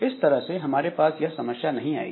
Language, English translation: Hindi, So, that way we don't have this type of problem